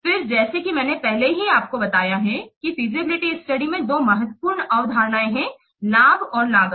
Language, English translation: Hindi, Then as I have already told you two important concepts are there in a feasibility study, the benefits and costs